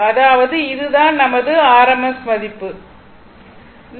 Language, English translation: Tamil, So, when you do it this thing in rms value